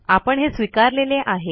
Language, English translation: Marathi, So we already accepted that